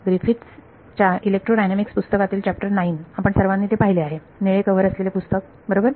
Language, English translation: Marathi, So, chapter 9 of Griffiths book on electrodynamics right, everyone has seen that, the blue color book right